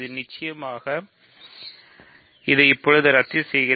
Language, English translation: Tamil, So, of course, I cancel this now